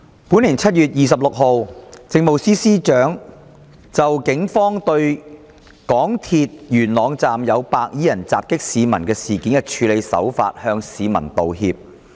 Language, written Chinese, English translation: Cantonese, 本年7月26日，政務司司長就警方對港鐵元朗站有白衣人襲擊市民事件的處理手法向市民道歉。, On 26 July this year the Chief Secretary for Administration CS apologized to members of the public for the Polices handling of the incident of some white - clad men attacking members of the public in the MTR Yuen Long Station